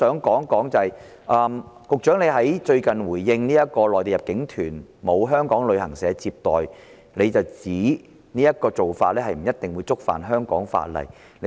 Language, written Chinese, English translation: Cantonese, 此外，局長最近就內地入境團沒有香港旅行社接待一事作出回應，表示這做法不一定觸犯香港法例。, Moreover in his recent response to the incident of Mainland inbound tour groups not being received by Hong Kong travel agents the Secretary said that such a practice might not necessarily contravene the laws of Hong Kong